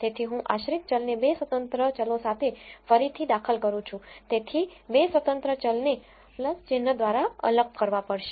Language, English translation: Gujarati, So, I am regressing the dependent variable with 2 independent variables so, the 2 independent variables have to be separated by a plus sign